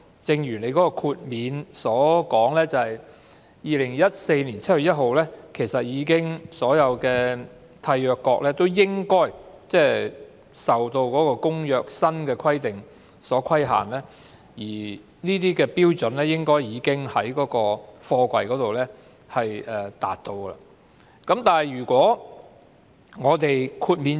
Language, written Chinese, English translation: Cantonese, 政府表示，在2014年7月1日以後，所有締約國應已受《公約》的新規定所規限，而貨櫃亦應已達到有關的標準。, According to the Government as all the contracting states would be governed by the new provisions under the Convention after 1 July 2014 their containers should meet the relevant standard